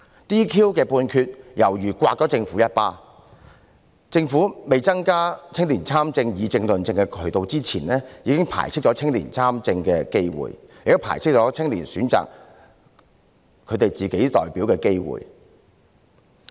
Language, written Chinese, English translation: Cantonese, "DQ" 的判決猶如掌摑了政府一巴，政府在未增加青年參政、議政和論政的渠道之前，已經排斥了青年參政的機會，亦排斥了青年選擇自己的代表的機會。, The ruling of disqualification was like a slap on the face of the Government . Before increasing the channels for young people to participate in politics as well as public policy discussion and debate the opportunities for young people to participate in politics were eliminated and so were the opportunities for young people to choose their own representatives